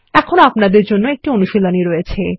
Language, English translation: Bengali, Here is another assignment for you